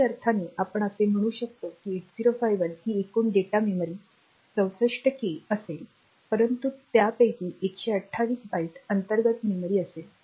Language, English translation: Marathi, So, you can say in some sense I can say that the total data memory that 8051 will have in that case is 64K here plus this 128 Byte internal